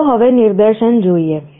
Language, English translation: Gujarati, Let us now see the demonstration